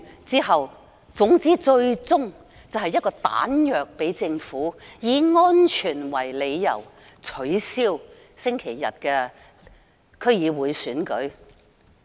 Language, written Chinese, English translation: Cantonese, 總之，最終的目的，是給政府彈藥，以安全為理由取消星期日的區議會選舉。, And after speaking Anyway their ultimate purpose is to provide ammunition for the Government in a bid to bring forth the cancellation of the DC Election this Sunday on the ground of safety